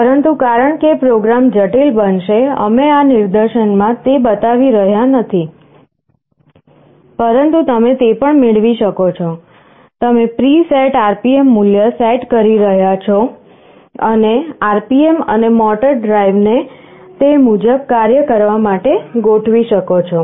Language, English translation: Gujarati, But, because the program will become complex, we are not showing those in this demonstration, but you can also have it; you can set a preset RPM value, and you can adjust the RPM adjust the motor drive to make it work accordingly